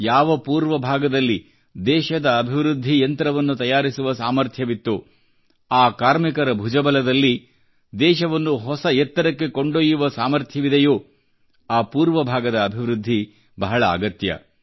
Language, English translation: Kannada, The very region which possesses the capacity to be the country's growth engine, whose workforce possesses the capability and the might to take the country to greater heights…the eastern region needs development